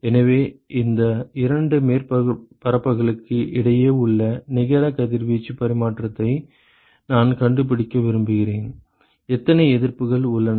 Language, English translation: Tamil, So, I want to find out the net radiation exchange between these two surfaces ok, how many resistances are there